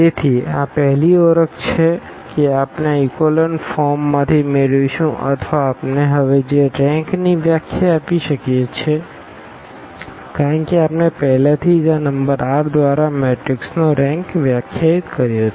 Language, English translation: Gujarati, So, that is the first identification we are going to have from this echelon form or in terms of the rank we can define now because we have defined already the rank of the matrix by this number r